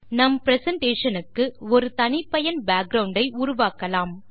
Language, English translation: Tamil, Lets create a custom background for our presentation